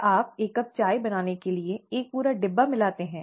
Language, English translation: Hindi, Do you add an entire box, to make one cup of tea